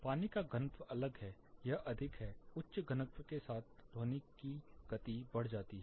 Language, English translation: Hindi, Water, the density is different it is higher, with the higher density the sound speed of sound increases